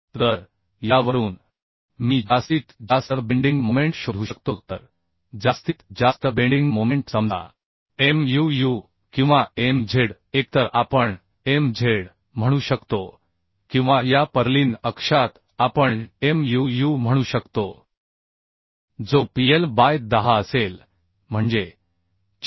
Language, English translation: Marathi, 5 into 170 so 255 newton per meter okay So from this I can find out maximum bending moment right so maximum bending moment say Muu or Mz we can say either we can say Mz or in this purlin axis we can say Muu that will be PL by 10 that means 4941